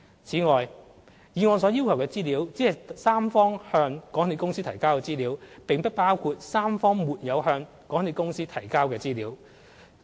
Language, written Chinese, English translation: Cantonese, 此外，議案所要求的資料，只是三方向港鐵公司提交的資料，並不包括三方沒有向港鐵公司提交的資料。, Furthermore what the motion asks for is only the information submitted to MTRCL by the three parties not the information the three parties have not submitted to MTRCL